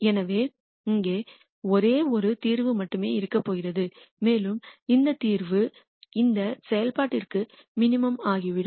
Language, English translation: Tamil, So, there is going to be only one solu tion here and it turns out that that solution is a minimum for this function